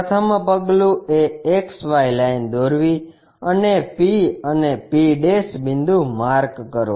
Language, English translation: Gujarati, First step is draw XY line and mark point P and p'